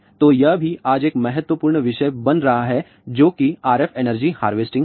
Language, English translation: Hindi, So, this is also becoming a very important topic today which is the RF energy harvesting